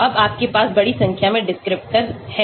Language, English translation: Hindi, Now you have large number of descriptors